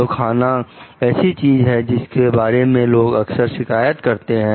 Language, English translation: Hindi, So, however, food is something which regularly people complain about